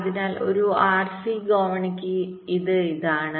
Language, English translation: Malayalam, so for an r c ladder, it is this